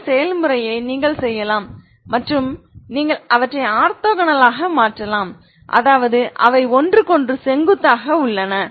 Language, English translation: Tamil, You can do this process and create you can make them orthogonal that means they are perpendicular to each other ok